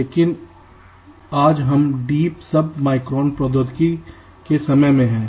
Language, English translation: Hindi, but today we are into deep sub micron technology